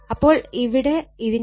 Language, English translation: Malayalam, So, in this case this answer is 12